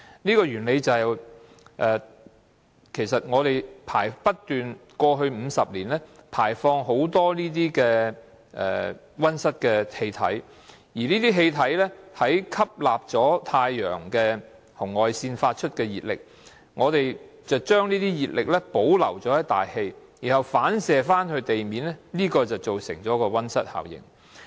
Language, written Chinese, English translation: Cantonese, 過去50年，全球不斷排放很多溫室氣體，而這些氣體吸納了太陽紅外線發出的熱力，將這些熱力保留在大氣層，然後反射到地面，這便造成溫室效應。, In the past 50 years a lot of greenhouse gas has been emitted globally . This gas absorbed the heat generated by the infrared light of the sun retained it in the atmosphere and reflected it to the ground causing greenhouse effect